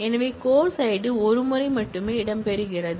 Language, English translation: Tamil, So, course id is featuring only once